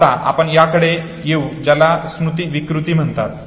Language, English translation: Marathi, Now we come to what is called as memory distortion